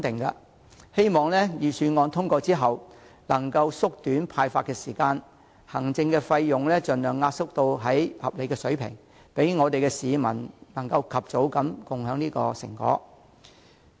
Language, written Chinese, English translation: Cantonese, 我希望預算案通過後，能夠縮短發放款項所需的時間，並且把行政費盡量壓縮至合理水平，讓市民盡早分享成果。, I hope that after the passage of the Budget the time required for the disbursement of payments can be shortened . Moreover the administrative costs should be compressed to a reasonable level by all means so as to enable members of the public to share the fruits of economic development expeditiously